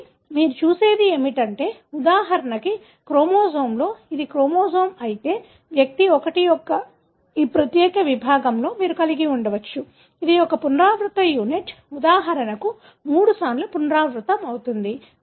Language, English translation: Telugu, So, what you see is that in a chromosome for example, if this is the chromosome, in this particular segment of individual 1, you may have, this is one repeating unit that is repeated for example, 3 times